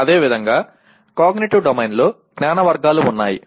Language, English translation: Telugu, And similarly Cognitive Domain has Knowledge Categories